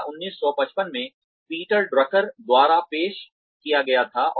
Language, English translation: Hindi, This was introduced by Peter Drucker in 1955